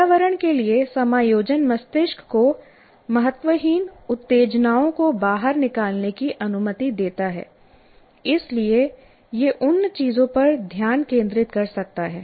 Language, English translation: Hindi, The adjustment to the environment allows the brain to screen out unimportant stimuli so it can focus on those that matter